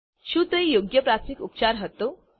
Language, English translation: Gujarati, Was it the right first aid